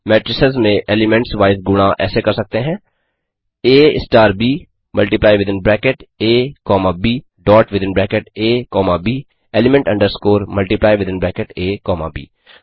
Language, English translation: Hindi, Element wise multiplication in matrices are done by, A * B multiply within bracket A comma B dot within bracket A comma B element underscore multiply within bracket A comma B 2